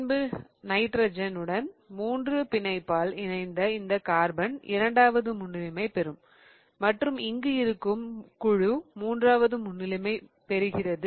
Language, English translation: Tamil, Then this triple bonded carbon attached to the nitrogen will get the second priority and this one here will get the third priority